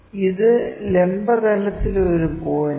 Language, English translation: Malayalam, And this is a point on vertical plane